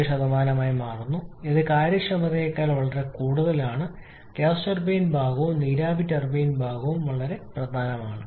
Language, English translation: Malayalam, 17% which is significantly higher than the efficiency for both the gas turbine part as well as the steam turbine parts